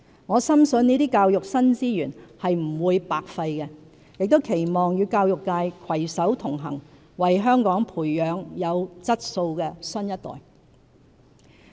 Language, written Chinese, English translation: Cantonese, 我深信這些教育新資源是不會白費的，亦期望與教育界攜手同行，為香港培養有質素的新一代。, I believe that the new resources for education would not be expended for no purpose and I look forward to working hand in hand with the education sector in nurturing quality future generations for Hong Kong